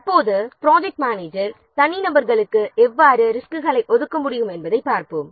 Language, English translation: Tamil, Now let's see how the project manager can allocate resources to individuals